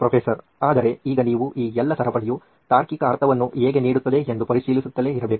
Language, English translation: Kannada, But now you’ve to keep examining whether all this chain makes a logical sense